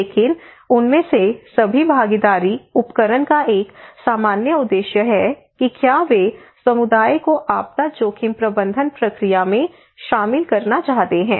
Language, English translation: Hindi, But all of them, all participatory tools, they have one common objective that is they wanted to involve community into the disaster risk management process